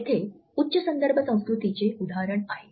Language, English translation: Marathi, Here is an example of a high context culture